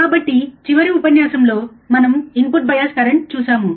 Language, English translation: Telugu, So, last lecture, we have seen the input bias current, right